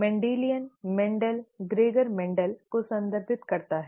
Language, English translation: Hindi, Mendelian refers to Mendel, Gregor Mendel